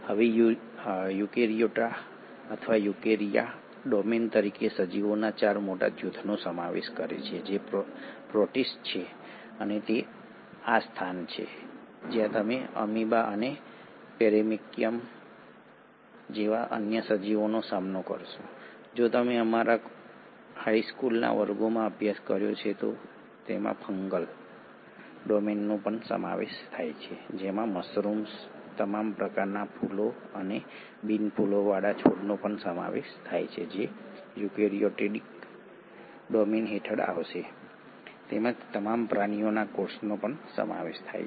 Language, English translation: Gujarati, Now eukaryota or eukarya as a domain consists of 4 major group of organisms which are the protists, this is where you will come across amoeba and other organisms like paramecium, if you studied in your high school classes, it also consists of the fungal domain which includes mushrooms, all kinds of flowering and non flowering plants which will come under the eukaryotic domain as well as all the animal cells